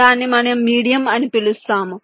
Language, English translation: Telugu, thats what we call as medium